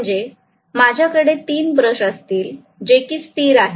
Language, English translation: Marathi, So I am going to have 3 brushes which are stationary